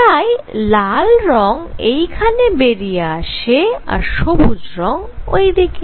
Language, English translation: Bengali, So, red color comes here green goes here